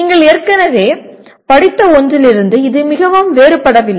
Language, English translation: Tamil, It may not differ very much from something that you already read